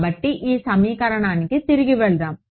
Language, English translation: Telugu, So, let us go back to this equation